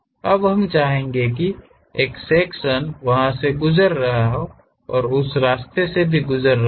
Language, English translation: Hindi, Now, we would like to have a section passing through that and also passing through that in that way